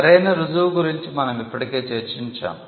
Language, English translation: Telugu, Now, proof of right, we had already discussed this